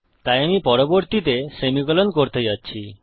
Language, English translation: Bengali, Okay so the next one Im going to do is the semicolon